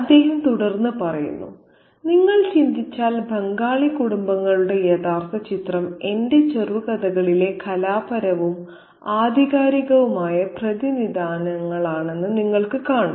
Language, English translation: Malayalam, And he goes on to say that if you think it over, you'll see that the real picture of Bengali families had its artistic and authentic representations in my short stories